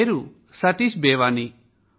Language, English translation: Telugu, My name is Satish Bewani